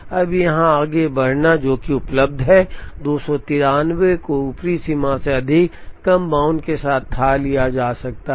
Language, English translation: Hindi, Now, proceeding here, which is one that is available, 293 is also be fathomed with lower bound greater than upper bound